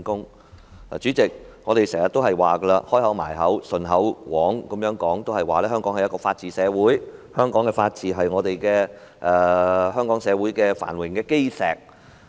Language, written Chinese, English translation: Cantonese, 代理主席，我們經常、"開口閉口"、"唸口簧"也會說，香港是法治社會，香港的法治是香港社會繁榮的基石。, Deputy President we often picture Hong Kong as a society with the rule of law and we always say that the rule of law constitutes the cornerstone for Hong Kongs prosperity